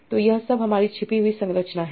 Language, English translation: Hindi, So this is all my hidden structure